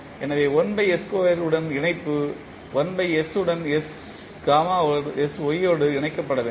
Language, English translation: Tamil, So, we will connect with 1 by s square will connected to sy with 1 by s